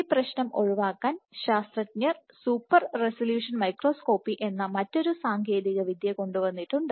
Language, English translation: Malayalam, So, to circumvent this problem, scientists have come up with this alternate technique called super resolution microscopy